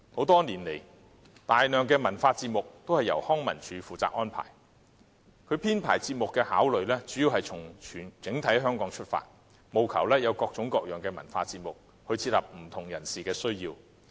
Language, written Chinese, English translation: Cantonese, 多年來，大量的文化節目都由康樂及文化事務署負責安排，其編排節目的考慮主要從香港整體出發，務求有各種各樣的文化節目，切合不同人士的需要。, Over the years an enormous number of cultural programmes has been organized by the Leisure and Cultural Services Department LCSD . Its programme line - up is based mainly on the need of the whole Hong Kong so that cultural programmes come in a great variety catering for the needs of different people